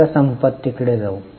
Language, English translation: Marathi, Now let us go to assets